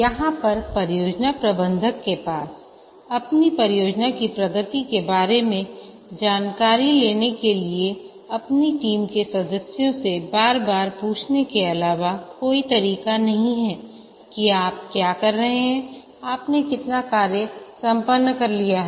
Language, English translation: Hindi, Here the project manager has no way of finding out the progress of the project other than asking the team members that how are you doing, how much you have completed